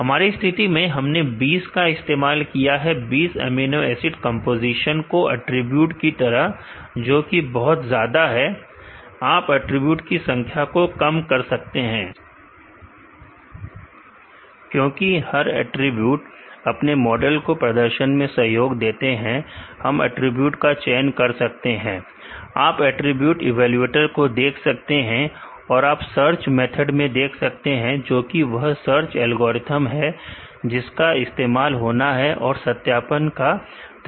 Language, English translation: Hindi, In our case we are used 20, all the 20 amino acid composition as attributes, which is very huge you can reduce the number of attributes, because all a attribute own contribute your model performance, we can use select attributes further under select attribute, you could see the attribute evaluator the method and the search method, which is search algorithm to be used and the validation method again